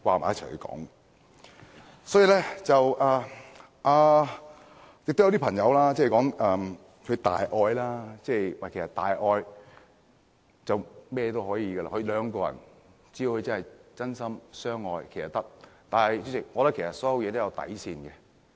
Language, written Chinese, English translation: Cantonese, 也有一些人提到大愛，有大愛就甚麼都可以，兩個人只要真心相愛就是可以的，但主席，其實所有事情都有底線。, Some people also talk about boundless love saying everything is possible when there is boundless love or true love between two people . Nonetheless Chairman there is a bottom line for everything